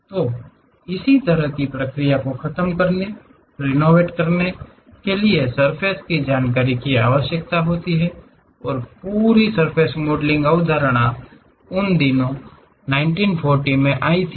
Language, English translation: Hindi, So, deforming, riveting this kind of process requires surface information and entire surface modelling concept actually came in those days 1940's